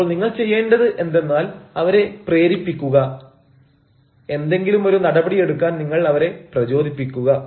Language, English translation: Malayalam, so what you need to do is you actually propel him, you prompt him to take some action